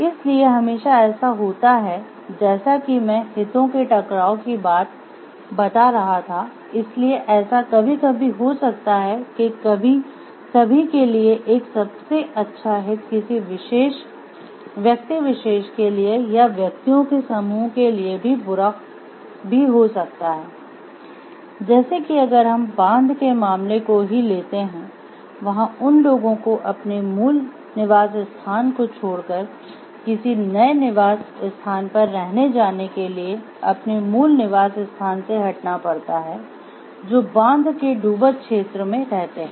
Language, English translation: Hindi, So, there is always as I was telling a conflict of interest, so it may so happen sometimes what is in the best interest for everyone may be bad for a particular individual or for a group of individuals, like if we take the case for the dam the people who have to shift from their original place of residence to find out a new place of residence because of this dam coming up